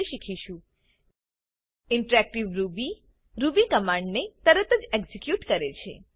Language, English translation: Gujarati, Interactive Ruby allows the execution of Ruby commands with immediate response